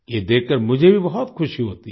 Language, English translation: Hindi, I am also very happy to see this